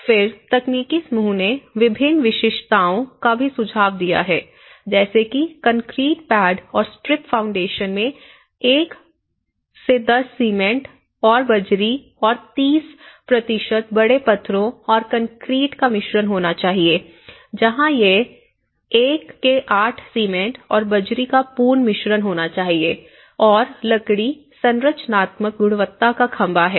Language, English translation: Hindi, Then, the technical group also have suggested various specifications that concrete pad and strip foundations which should have a mix of 1:10 cement+aggregate+30% of large stones and concrete wall base where it have mix of 1:8 cement and aggregate and wood is structural quality poles